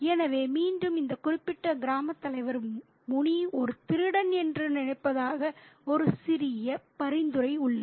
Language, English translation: Tamil, So, again, there is a slight suggestion that this particular village headman thinks that Muni is a thief